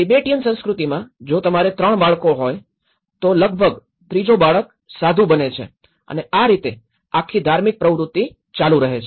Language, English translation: Gujarati, In a Tibetan culture, if you have 3 children, almost the third child becomes a monk and that is how this whole religious pattern is continued